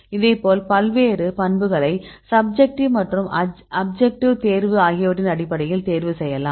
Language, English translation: Tamil, So, likewise you can derive various properties, and you can make the selection based on subjective selection as well as the objective selection right